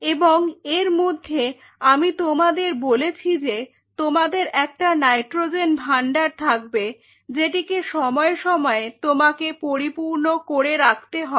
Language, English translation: Bengali, And in between I told you that you have a nitrogen storage which has to be replenished time to time